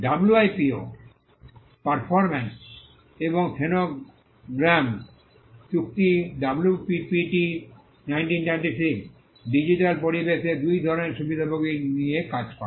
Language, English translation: Bengali, The WIPO performances and phonograms treaty the WPPT 1996 deals with two kinds of beneficiaries in the digital environment